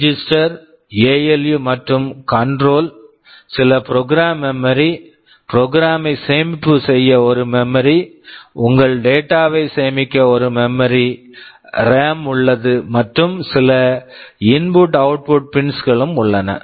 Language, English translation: Tamil, You have the basic microprocessor here, register, ALU and the control, there is some program memory, a memory to store the program, there is a memory to store your data and there can be some input output pins